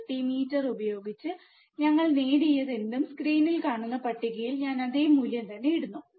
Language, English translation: Malayalam, Whatever we have obtained using the multimeter, if I put the same value, in the table which is on the screen, right